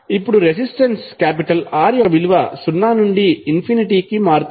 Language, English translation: Telugu, Now, the value of resistance R can change from zero to infinity